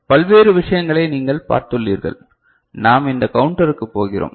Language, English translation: Tamil, And you have you seen the various things from the comparator, we are going to this counter